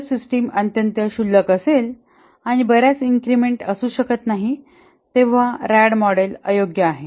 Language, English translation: Marathi, If the system is very trivial and we cannot have several increments, then obviously RAD model is unsuitable